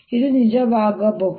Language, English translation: Kannada, is this true